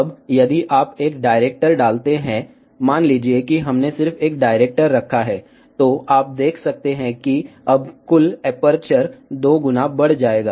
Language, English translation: Hindi, Now, if you put a director, suppose we put just one director, you can see that now the total aperture will increase by two times